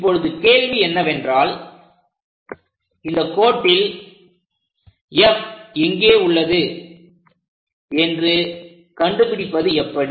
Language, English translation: Tamil, Now the question is, how to find this line F somewhere there